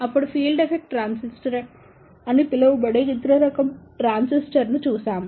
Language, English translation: Telugu, Then, we saw the other type of transistor that is known as the Field Effect Transistor